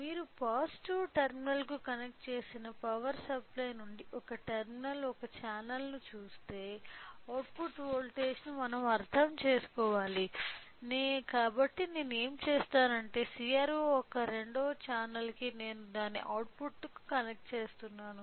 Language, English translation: Telugu, So, if you see one terminal one channel from the power supply connected to the positive terminal so, since we have to understand the output voltage what I will do is that the second channel of CRO I am connecting it to the output